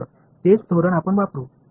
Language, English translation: Marathi, So, that is the strategy that we will use